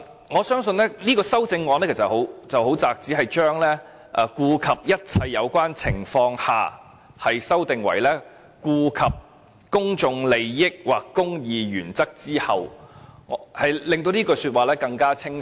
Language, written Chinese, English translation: Cantonese, 我相信這項修正案涉及的範圍很窄，只是將"顧及一切有關情況下"修訂為"顧及公眾利益或公義原則之後"，令條文更為清晰。, I think the scope of this amendment is just very narrow as it only aims to clarify the provision by replacing all the relevant circumstances by the public interest or the interests of the administration of justice